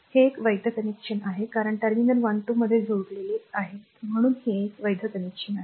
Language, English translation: Marathi, So, it is a valid connection this is a valid connection at they are connected across terminal 1 2 so, it is a valid connection